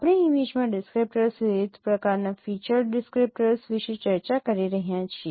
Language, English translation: Gujarati, We are discussing about descriptors, different kinds of featured descriptors in an image